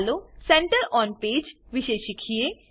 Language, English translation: Gujarati, Lets learn about Center on page